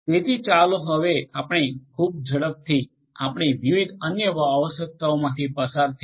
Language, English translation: Gujarati, So, let us now quickly very quickly let us go through the different other requirements